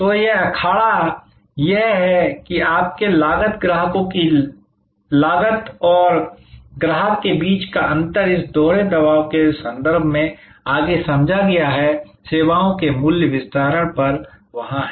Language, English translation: Hindi, So, this arena is that is the difference between your cost customers cost and the value to the customer is the further understood in terms of this dual pressure; that is there on pricing of services